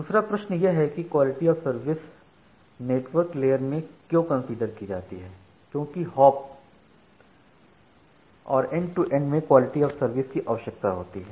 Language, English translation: Hindi, Now, another important question is that why quality of service is considered at the network layer, because maintaining quality of service requires both per hop and end to end behavior